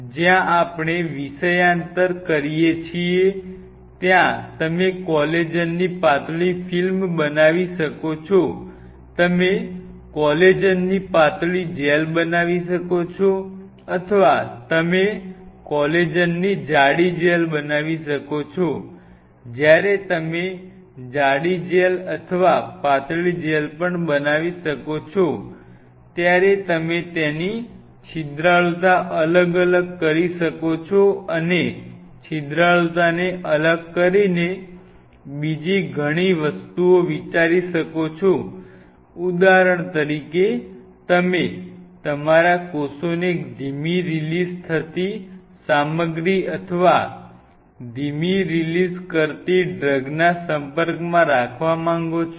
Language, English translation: Gujarati, So, where we digress you can make a thin film of collagen you can make a thin gel of collagen or you can make a thick gel of collagen and when you make a thick gel or even a thin gel you can make a, you can vary the porosity of that material and by varying the porosity there are several other things you can think of in this same line say for example, you wanted to have your cells exposed to a slow releasing material slow releasing drug